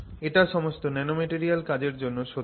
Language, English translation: Bengali, So, actually this is true for all nanomaterial work